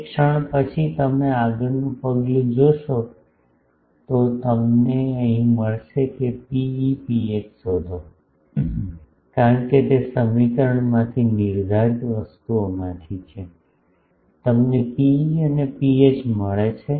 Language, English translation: Gujarati, The moment you do that then you will find next step is you will get here find rho e rho h, because they are directly from the defining things from these equations you get rho e and rho h